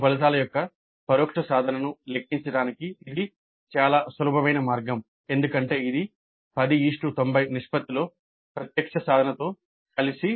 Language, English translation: Telugu, So, very very simple way of calculating the indirect attainment of the course of this is to be combined with the direct attainment in the ratio of 10 is to 90, 10% 90%